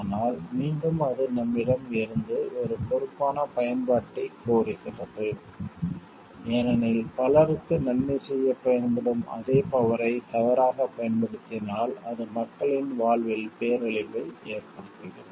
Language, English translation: Tamil, But again it demands from us a responsible use of it because; the same power which can be used to do good for lots of people if it is misused it brings disaster to the lives of people